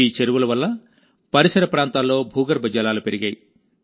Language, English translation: Telugu, Due to these ponds, the ground water table of the surrounding areas has risen